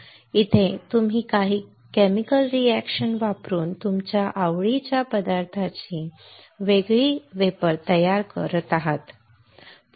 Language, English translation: Marathi, In here you are using a chemical reactions to form a different vapors of the materials of your interest, right